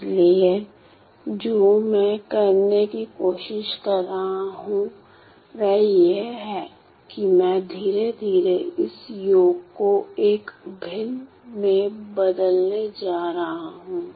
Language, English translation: Hindi, So, what I am trying to do is that I am slowly going to change this summation to an integral